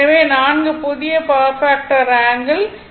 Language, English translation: Tamil, So, we have got four new power factor angle is 18